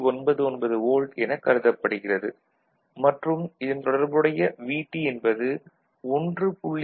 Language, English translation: Tamil, 99 volt it has been considered and corresponding VT is 1